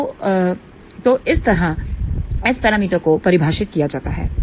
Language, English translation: Hindi, So, that is how S parameters are defined